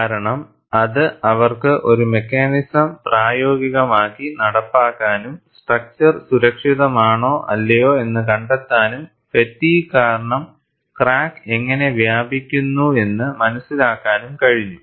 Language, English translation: Malayalam, Because, that provided a mechanism for them to implement in practice and find out, whether the structure would be safe or not, by knowing how the crack propagates, due to fatigue